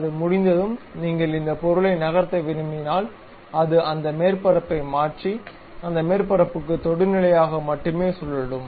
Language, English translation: Tamil, Once it is done, if you want to really move this object, it turns that surface and tangential to that surface only it rotates